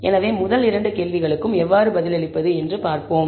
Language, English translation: Tamil, So, let us look at how to answer the first two questions